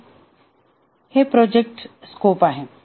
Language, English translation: Marathi, So, this is the project scope